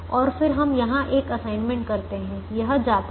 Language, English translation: Hindi, we make an assignment here, this goes